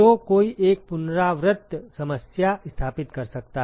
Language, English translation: Hindi, So, one could set up an iterative problem